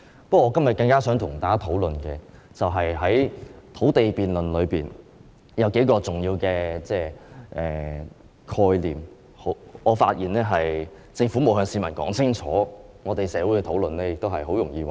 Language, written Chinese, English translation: Cantonese, 不過，我今天更想與大家討論的是在土地辯論中的數個重要的概念，而我發現政府並沒有向市民說清楚，社會討論時也很容易混淆。, But today I all the more wish to discuss with Members several important concepts in the land debate for I find that the Government has not clearly explained them to the public and these concepts can be easily confused in the discussions in society